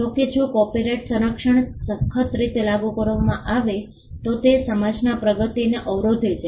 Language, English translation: Gujarati, However, if copyright protection is applied rigidly it could hamper progress of the society